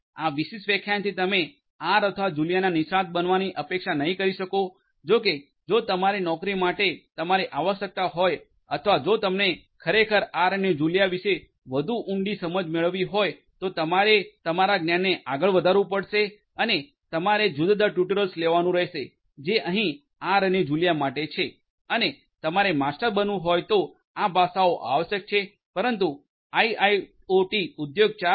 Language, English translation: Gujarati, With this particular lecture you are not expected to become an expert of R or Julia; however, if your job requires you or if you are indeed interested to have a deeper understanding of R and Julia you have to build your knowledge further and you have to take different tutorials that are there for R and Julia and you have to become master of these languages if you are required to, but from a course perspective for IIoT an Industry 4